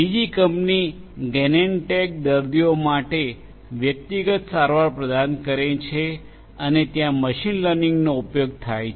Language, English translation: Gujarati, Another company Genentech provide personalized treatment for patients there also machine learning is used